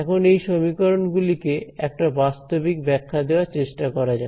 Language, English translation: Bengali, So, now, let us just try to give a physical interpretation to these equations